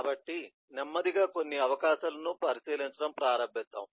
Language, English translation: Telugu, so let us slowly start taking a look into some of the possibilities